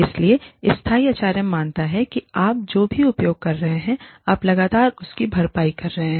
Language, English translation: Hindi, So, sustainable HRM assumes, that you are constantly replenishing, whatever you are using